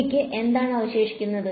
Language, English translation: Malayalam, What am I left with